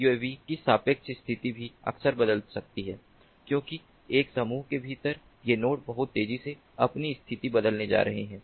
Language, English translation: Hindi, then the relative position of the uavs may also change very frequently because within a group these nodes are going to change their positions pretty fast